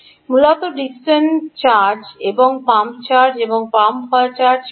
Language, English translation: Bengali, basically, dickson charge and pump, charge and pump is charge pump